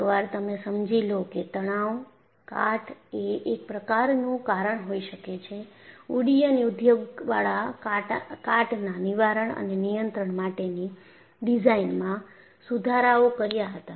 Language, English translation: Gujarati, So, once you have understood thestress corrosion could be a cause, aviation industry improved the design for corrosion prevention and control